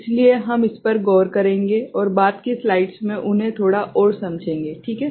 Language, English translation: Hindi, So, we shall look into them this, and understand them a bit more in the subsequent slides ok